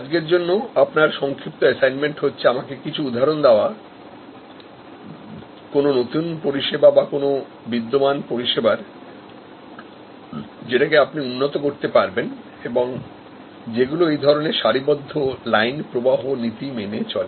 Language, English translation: Bengali, Your short assignment for today is to give me some example of a new service or it could be an existing service, which you can enhance, which follows these flow shop or line principle